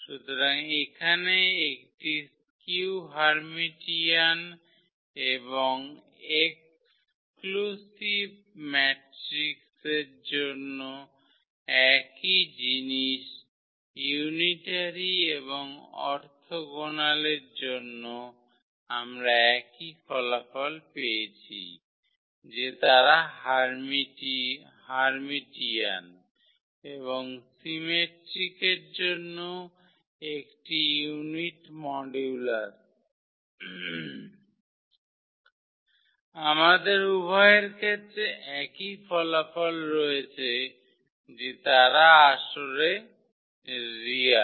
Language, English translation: Bengali, So, here for a skew Hermitian and exclusive metric the same thing unitary and orthogonal we have the same result, that they are of a unit modulus for Hermitian and symmetric we have also the same result for both that they are the real entries